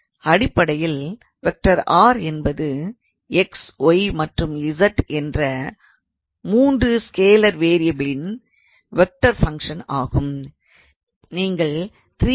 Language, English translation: Tamil, So, basically r is a vector function of 3 scalar variables x y and z